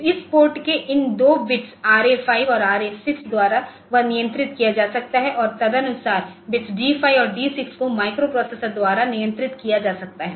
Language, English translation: Hindi, So, that can be controlled by these two bits RA5 and RA6 of this port and accordingly the bits D5 and D6 can be controlled of by the microprocessor for PORTA